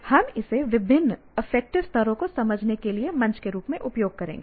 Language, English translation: Hindi, So we just use this as a platform for to understand various affective levels